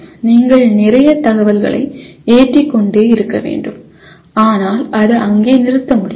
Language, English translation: Tamil, And you have to keep loading lot of information but it cannot stop there